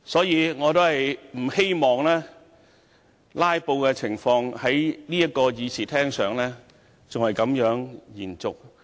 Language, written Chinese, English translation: Cantonese, 因此，我希望"拉布"的情況不要再在這個議事廳延續下去。, For this reason I hope that filibustering would no longer continue in this Chamber